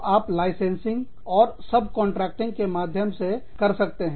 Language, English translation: Hindi, So, you could do it, through licensing and subcontracting